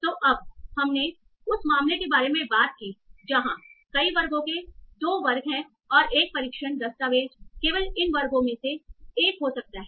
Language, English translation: Hindi, Now, so you talked about the case where there are two classes or multiple classes and a test document can belong to one of these classes only